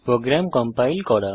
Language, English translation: Bengali, To compile the program